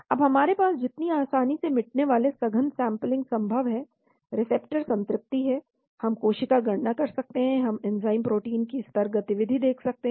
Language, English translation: Hindi, Then we have more readily accessible intensive sampling feasible , receptor saturation, we can do cell count, we can do enzyme protein level activity